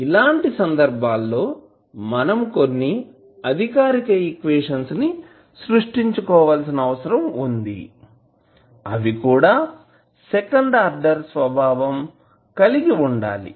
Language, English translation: Telugu, So, in those case you need to create the governing equations which are the second order in nature